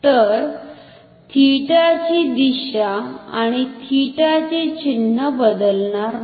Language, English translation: Marathi, So, the direction of theta or sign of theta will not change